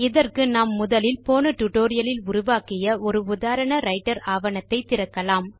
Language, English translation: Tamil, For this, let us first open the example Writer document that we created in the last tutorial i.e